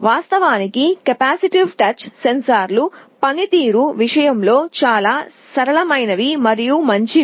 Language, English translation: Telugu, Of course, the capacitive touch sensors are much more flexible and better in terms of performance